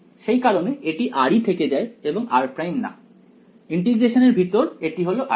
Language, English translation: Bengali, So, that is why this is continues to be r and not r prime inside the integration this is r prime